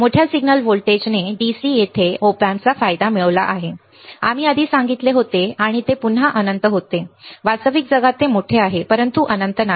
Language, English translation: Marathi, Large signal voltage gain the gain of the Op amp at DC right earlier we said and that again was infinite, in real world is it is large, but not infinite